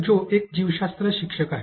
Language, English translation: Marathi, So, Mister Joe is a biology teacher